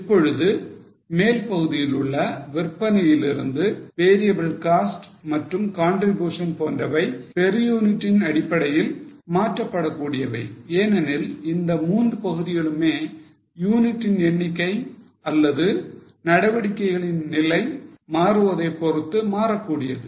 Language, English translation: Tamil, Now the upper part that is from sales variable cost and contribution can be converted on per unit basis because all these three components change as the number of units or the level of activity changes